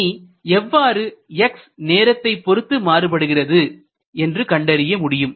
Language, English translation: Tamil, Now, it is possible to find out how x changes with time